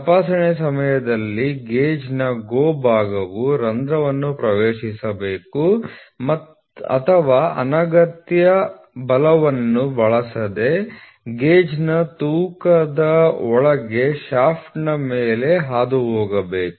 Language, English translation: Kannada, During inspection the GO side of the gauge should enter the hole or just pass over the shaft under the weight of the gauge, without using undue force